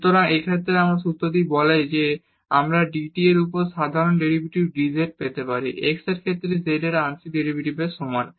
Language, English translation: Bengali, So, in this case this formula says that we can get this ordinary derivative dz over dt is equal to the partial derivative of z with respect to x